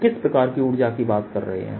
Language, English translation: Hindi, this is a kind of energy we are talking about